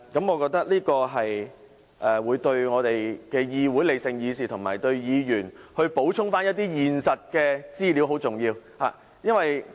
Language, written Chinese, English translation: Cantonese, 我覺得這樣對議會理性議事，以及為議員補充一些現實資料很重要。, I think the provision of supplementary information about the reality for Members is very important for the rational discussion in the legislature